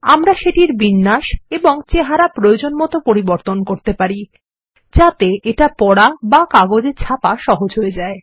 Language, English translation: Bengali, We can customize its layout, look and feel, so that it is easy to read or print on paper